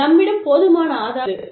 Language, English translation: Tamil, We have enough proof